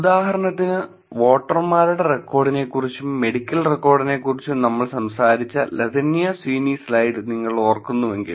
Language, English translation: Malayalam, For example, if you remember the Latanya Sweeny slide where we talked about voters record and medical record